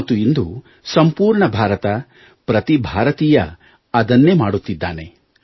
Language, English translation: Kannada, Today the whole of India, every Indian is doing just that